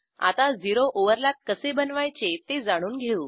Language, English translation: Marathi, Now, lets learn how to create a zero overlap